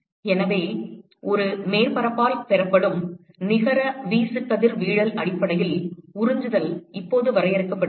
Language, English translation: Tamil, And so, the absorptivity is now defined based on the net irradiation that is received by a surface